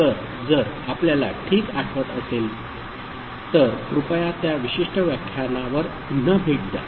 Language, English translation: Marathi, So, if you remember fine, otherwise please revisit that particular lecture